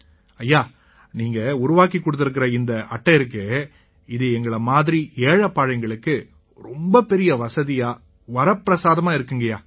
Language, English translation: Tamil, Sir and this card that you have made in a very good way and for us poor people is very convenient